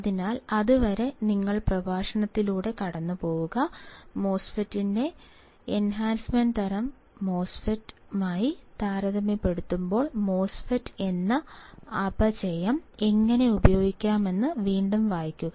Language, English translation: Malayalam, So, till then, you just go through the lecture, read it once again how the depletion MOSFET can be used compared to enhancement type MOSFET